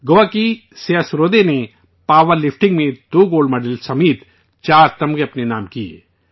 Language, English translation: Urdu, Siya Sarode of Goa won 4 medals including 2 Gold Medals in power lifting